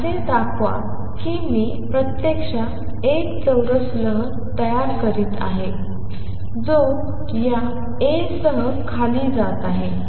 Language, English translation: Marathi, So, and show that what it looks like is I am actually creating a square wave which travels down with this being A